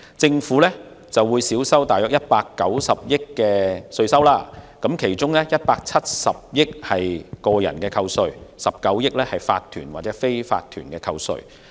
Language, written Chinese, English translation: Cantonese, 政府將因此少收約190億元的稅款，當中有170億元屬於個人扣稅 ，19 億元則屬於法團/非法團扣稅。, Due to this measure the Government would receive around 19 billion less in its tax revenue―17 billion and 1.9 billion as tax reduction for individuals and corporationsunincorporated businesses respectively